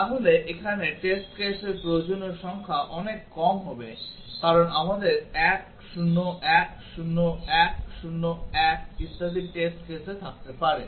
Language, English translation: Bengali, So, here with the number of test cases required will be much less because we might have test cases like 1 0 1 0 1 0 1 etcetera